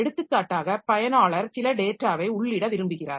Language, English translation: Tamil, So, for example, the user wants to enter some data